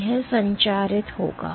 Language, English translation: Hindi, So, it will transmit